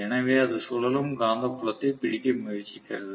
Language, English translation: Tamil, So it is trying to catch up with the revolving magnetic field